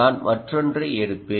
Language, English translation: Tamil, i will take another example